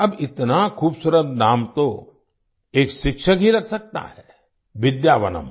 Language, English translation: Hindi, Now only a teacher can come up with such a beautiful name 'Vidyavanam'